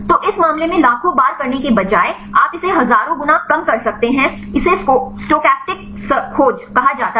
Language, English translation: Hindi, So, in this case instead of doing millions of times you can reduce it thousands of times right this is called the stochastic search